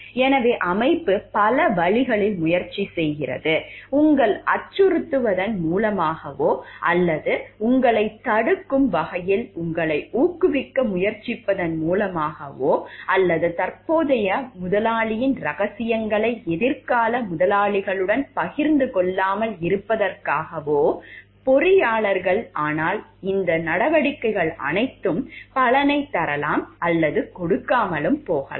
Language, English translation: Tamil, So, organization can try many ways out; either by threatening you or by trying to incentivize you in terms of restricting you from or the engineers from not sharing secrets of the present employer to the future employers, but all these measures may or may not yield the result